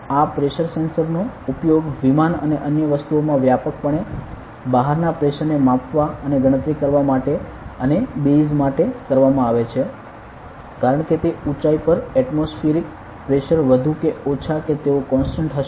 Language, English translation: Gujarati, So, these pressure sensors are widely used in aircraft and other things to measure the pressure outside and do the calculation as well as and base this; since the atmospheric pressure at that height will be more or less they constant they even use a pressure sensor to calculate the altitude ok